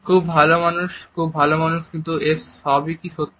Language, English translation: Bengali, Very good man very good man, but is it all genuine